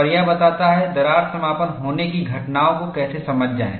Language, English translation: Hindi, And this explains, how to understand the phenomena of crack closure